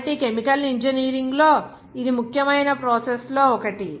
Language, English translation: Telugu, So, this is one of the important processes in chemical engineering